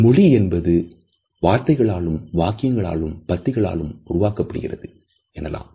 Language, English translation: Tamil, A language is made up of words, sentences and paragraphs